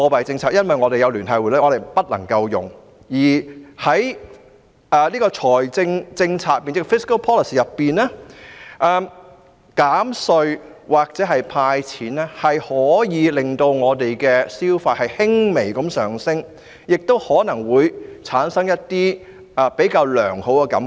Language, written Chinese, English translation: Cantonese, 這是因為我們有聯繫匯率，所以不能使用利率和貨幣政策，而在財政政策上，減稅或"派錢"可以令市民的消費意欲輕微上升，亦可能會令人產生比較良好的感覺。, This is because we have the Linked Exchange Rate and hence we are unable to make use of interest rate and monetary policy . In terms of fiscal policy tax reduction or cash handout may slightly boost consumer sentiment and may also generate positive feelings among people